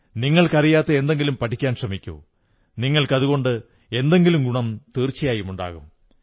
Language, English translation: Malayalam, Try to know about things about which you have no prior knowledge, it will definitely benefit you